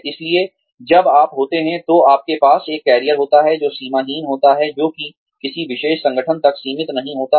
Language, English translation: Hindi, So, when you are, you have a career, that is boundaryless, that is not restricted to any particular organization